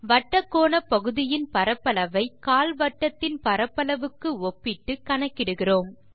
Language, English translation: Tamil, We want to calculate the area of the sector here by comparing it with the quadrant here